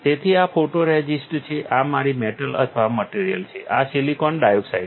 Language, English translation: Gujarati, So, these are photoresist, this is my metal or material, this is silicon dioxide